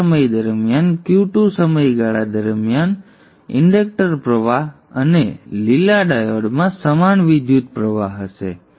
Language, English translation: Gujarati, During the time, Q2 period, inductor current and the green diode will be having the same current